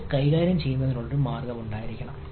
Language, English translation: Malayalam, there should be a way of handling this